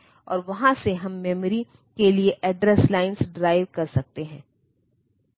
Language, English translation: Hindi, And from there we can drive the address lines for the memory